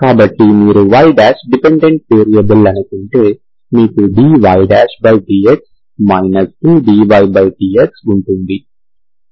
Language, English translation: Telugu, So if you think of y – is a dependent variable, you have dy – by dx 2 dy by dx, okay